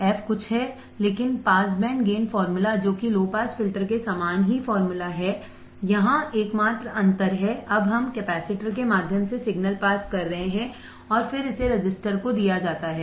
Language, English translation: Hindi, The f is something, but pass band gain formula which is the same formula of a low pass filter the only difference here is now we are passing the signal through the capacitor and then it is fed to the resistor